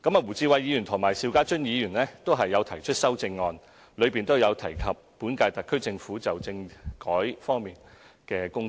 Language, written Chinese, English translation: Cantonese, 胡志偉議員和邵家臻議員的修正案均有提及本屆特區政府就政制發展方面的工作。, Both Mr WU Chi - wais amendment and that of Mr SHIU Ka - chun have mentioned the work of the current - term SAR Government on constitutional development